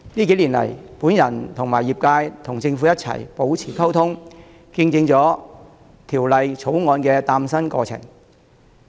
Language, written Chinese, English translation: Cantonese, 近年，我和業界與政府保持溝通，見證了《條例草案》的誕生。, In recent years the trade and I have maintained communication with the Government and witnessed the birth of the Bill